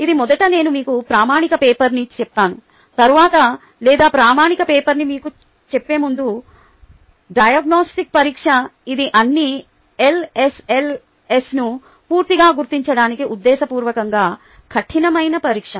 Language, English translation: Telugu, then, or before i tell you the standard paper, the diagnostic test, which is a deliberately tough test to ah completely identify all, all ls